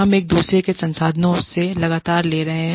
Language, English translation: Hindi, We are constantly drawing, from each other's resources